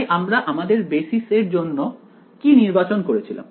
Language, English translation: Bengali, So, what did I choose for the basis